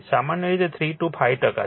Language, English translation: Gujarati, Generally your 3 to 5 percent, right